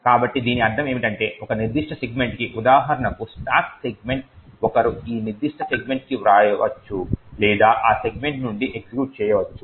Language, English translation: Telugu, So, what this means is that for a particular segment for example the stack segment one can either write to that particular segment or execute from that segment